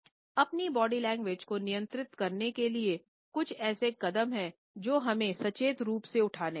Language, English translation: Hindi, In order to control our body language, there are certain steps which we should consciously take